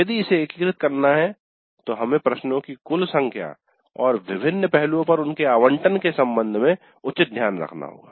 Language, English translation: Hindi, If it is to be integrated we have to take an appropriate care with respect to the total number of questions and their allocation to different aspects